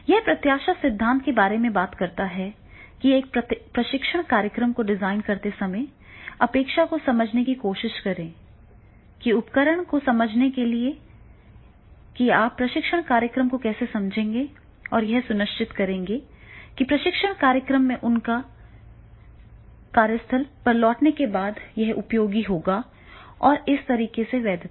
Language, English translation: Hindi, So, therefore this expectancy theory talks about that is while designing a training program first try to understand the expectation, they understand the instrumentality that how will you conduct the training program and make ensure that it is useful after going return to the training program to their workplace and that is the valence will be there